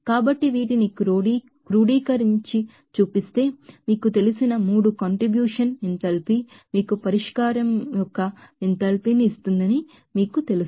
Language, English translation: Telugu, So, summation of these are you know 3 contribution of you know enthalpy will give you know enthalpy of solution